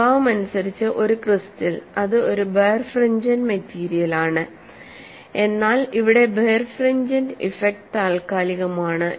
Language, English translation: Malayalam, So, this is the basic physical principle and a crystal by nature, it is a birefringent material, whereas here the birefringent is effect is temporary